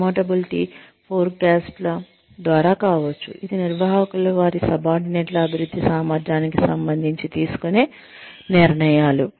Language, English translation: Telugu, Could be through promotability forecasts, which are decisions, made by managers, regarding the advancement potential of their subordinates